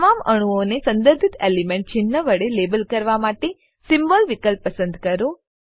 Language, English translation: Gujarati, Select Symbol option to label all the atoms with the symbol corresponding to the element